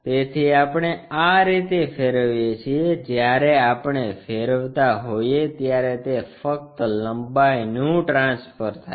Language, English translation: Gujarati, So, like that we rotate; when we are rotating it is just transfer of lengths